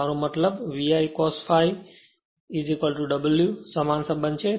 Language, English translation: Gujarati, I mean Vi cos phi is equal to W same relationship